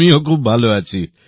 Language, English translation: Bengali, I am very fine